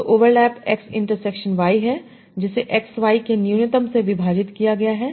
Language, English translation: Hindi, So overlap is x intersection y divided by minimum of x y